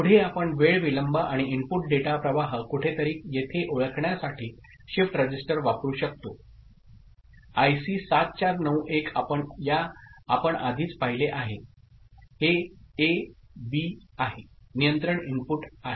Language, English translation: Marathi, Next we can use shift register to introduce time delay and the input data stream somewhere here IC 7491, we have already seen, this is A, B is the control input, ok